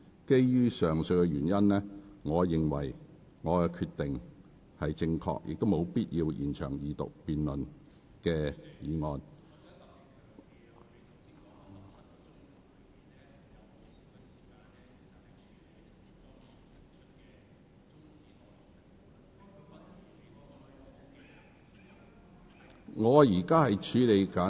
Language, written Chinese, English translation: Cantonese, 基於上述原因，我認為我的決定恰當，而且沒有必要延長二讀議案的辯論。, For these reasons I consider my decision appropriate and an extension of the debate on Second Reading unnecessary